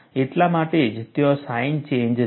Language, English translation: Gujarati, That is why the sign change is there